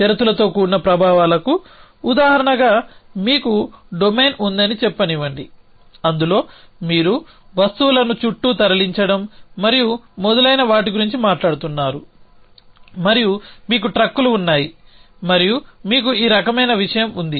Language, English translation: Telugu, So, as an example of conditional effects let say that you have a domain in which you are talking about moving objects around and so on and so forth and you have trucks and you have this kind of thing